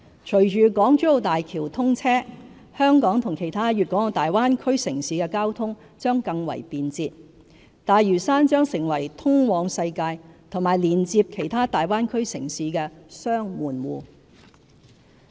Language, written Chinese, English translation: Cantonese, 隨着港珠澳大橋通車，香港與其他粵港澳大灣區城市的交通將更為便捷，大嶼山會成為通往世界和連接其他大灣區城市的"雙門戶"。, With the commissioning of the Hong Kong - Zhuhai - Macao Bridge the transport connectivity between Hong Kong and other cities in the Greater Bay Area will be further improved making Lantau a Double Gateway to the world and other Greater Bay Area cities